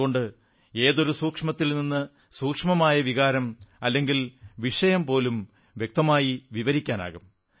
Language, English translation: Malayalam, And that is why the minutest nuance of an expression or subject can be accurately described